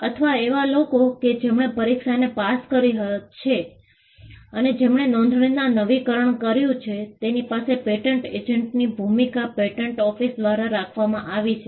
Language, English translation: Gujarati, There are patent office keeps a role of the patent agent; people who have cleared the exam and who renew their registration; the role is kept at by the patent office